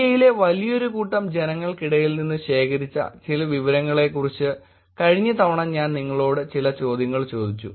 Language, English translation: Malayalam, I kind of asked you couple of questions last time about some data that was collected among large set of population in India